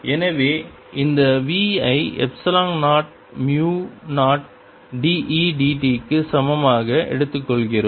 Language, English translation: Tamil, so we take this v to be equal to epsilon zero, mu, zero d e, d t